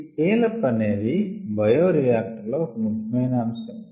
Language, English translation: Telugu, so scale down is also an important aspect in bioreactors